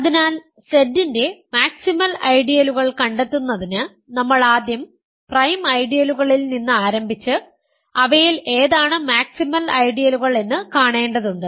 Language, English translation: Malayalam, So, in order to find the maximal ideals of Z, we need to first start with prime ideals and see which of those are maximal ideals